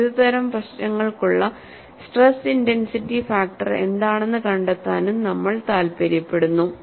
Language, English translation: Malayalam, In fact, we would do how to find out stress intensity factor for this important class of problems